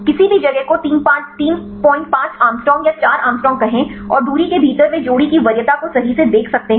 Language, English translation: Hindi, 5 angstrom or 4 angstrom and within the distance they can see the pair preference right